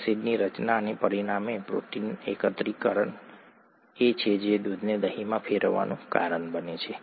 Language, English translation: Gujarati, Acid formation and as a result, protein aggregation is what causes milk to turn into curd